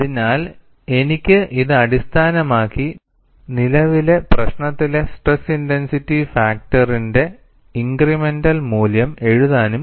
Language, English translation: Malayalam, So, I can invoke this and write the incremental value of stress intensity factor in the current problem